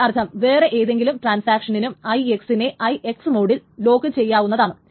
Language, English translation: Malayalam, So that means some other transaction may also lock this R1 into IX mode